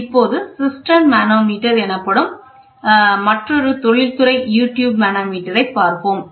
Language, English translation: Tamil, So, we will look for another industrial U tube manometer, which is called as Cistern manometer